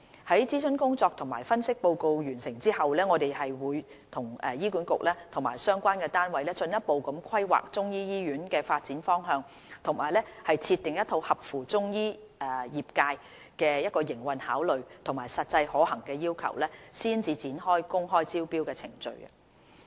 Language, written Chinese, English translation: Cantonese, 於諮詢工作及分析報告完成後，我們會與醫管局及相關單位進一步規劃中醫醫院的發展方向和設定一套合乎中醫業界的營運考慮和實際可行的要求，才展開公開招標的程序。, Upon completion of the consultation and the analysis report we will further map out the direction for developing the Chinese medicine hospital with HA and relevant parties and formulate a set of operational requirements which are practicable and in line with the operational considerations of the Chinese medicine sector before rolling out the open tender procedures